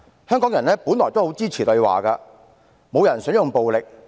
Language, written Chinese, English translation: Cantonese, 香港人本來也很支持對話，沒有人想用暴力。, Hongkongers used to support dialogues too . No one wanted to resort to violence